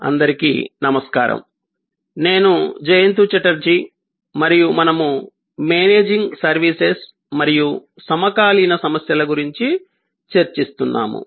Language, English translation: Telugu, Hello, I am Jayanta Chatterjee and we are discussing about Managing Services and the Contemporary Issues